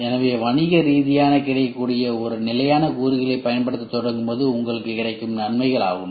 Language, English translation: Tamil, So, these are the advantages when you start using a standard commercially available component